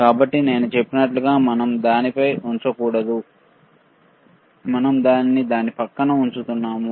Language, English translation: Telugu, So, like I said, we should not place on it we are placing it next to it, all right